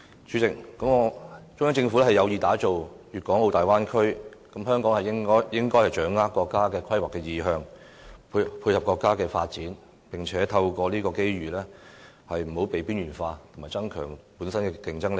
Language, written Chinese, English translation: Cantonese, 主席，中央政府有意打造粵港澳大灣區，香港應該掌握國家的規劃意向，配合國家發展，並透過這個機遇免致被"邊緣化"和增加本身的競爭力。, President the Central Government is planning to develop the Guangdong - Hong Kong - Macao Bay Area . As such we should grasp the nations planning intention and fit in its development so that Hong Kong can avoid being marginalized and increase our competitiveness by capitalizing on the opportunities presented by the project